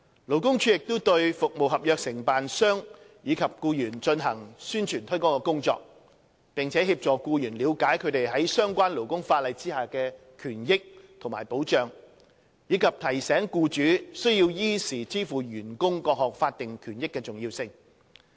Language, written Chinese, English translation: Cantonese, 勞工處亦對服務合約承辦商與其僱員進行宣傳推廣工作，並協助僱員了解他們在相關勞工法例下的權益和保障，以及提醒僱主須依時支付員工各項法定權益的重要性。, It also carries out publicity and promotion work among contractors of government service contracts and their employees to help the latter understand their rights and benefits as well as the protection under the relevant labour legislation and to remind employers of the importance of making timely payment of various statutory benefits to employees